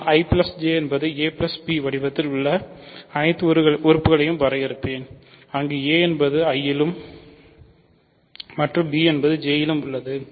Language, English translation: Tamil, So, I will define I plus J to be all elements of the form a plus b, where a is in I and b is in J, ok